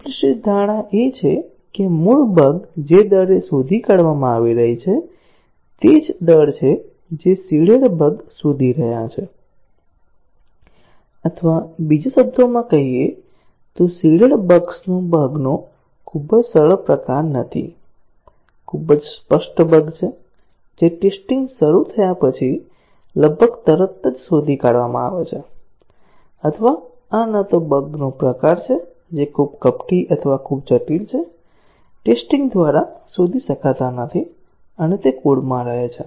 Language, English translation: Gujarati, The implicit assumption is that, the rate at which the original bugs are getting detected is the same as the rate at which the seeded bugs are getting detected; or in other words, the seeded bugs are not too easy type of bug, too obvious bugs, which get detected almost immediately after the testing starts; or these are also neither the type of bugs that are too insidious or too complex, not to be detected by the test and they remain in the code